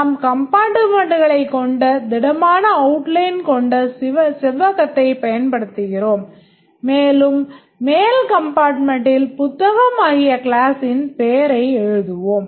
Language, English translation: Tamil, We'll use a solid outline rectangle with compartments and we'll write the name of the class like book at the top compartment